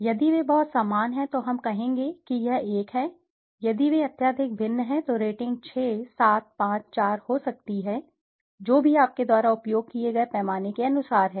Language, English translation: Hindi, If they are very similar let us say we will say it is one, if they are highly dissimilar then the rating could be 6, 7, 5, 4, whatever as per the scale you have used